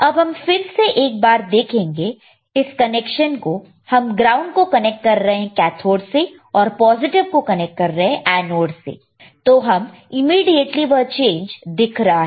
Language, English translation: Hindi, Connection we are connecting ground to cathode and positive to anode, we can immediately see the change